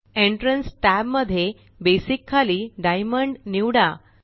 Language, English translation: Marathi, In the Entrance tab, under Basic, select Diamond